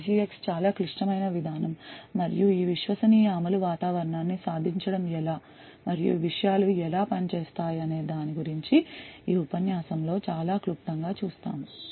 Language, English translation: Telugu, So SGX is quite a complicated mechanism to achieve this trusted execution environment and we will just see a very brief overview in this lecture about how these things would work